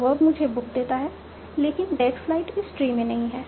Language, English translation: Hindi, Verve gives me book, but that flight is not covered in this tree